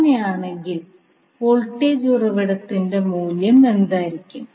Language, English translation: Malayalam, So what will be the value of voltage source in that case